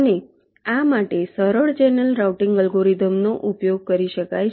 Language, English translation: Gujarati, and simple channel routing algorithms can be used for this